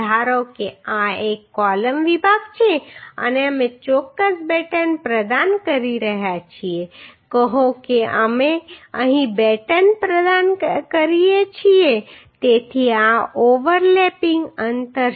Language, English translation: Gujarati, Say suppose this is a column section and we are providing certain batten say we are providing batten here so this is the overlapping distance right this is the